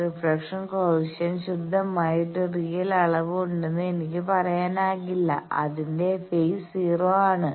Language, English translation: Malayalam, Can I not say that reflection coefficient there is a pure real quantity its phase is 0